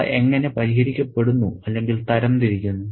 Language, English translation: Malayalam, How are they solved or sorted